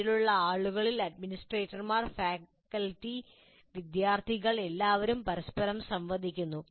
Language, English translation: Malayalam, And then the people in that, the administrators, the faculty, the students all interact with each other